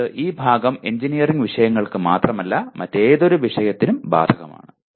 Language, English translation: Malayalam, That means this part will apply not only to engineering subjects but to any other subject as well